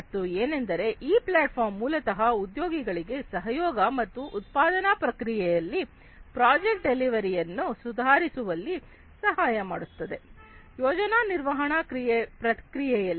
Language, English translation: Kannada, And they this platform basically helps employees to collaborate and improve upon the project delivery in the production process, in the project management process, rather